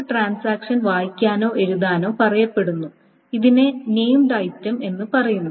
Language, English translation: Malayalam, A transaction is said to read or write something called a named item